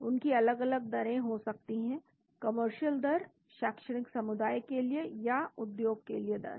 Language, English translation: Hindi, They may have different rates commercial, rates for academia and industry